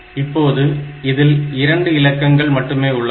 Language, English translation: Tamil, Now, after that, this has got only 2 digits in it, 0 and 1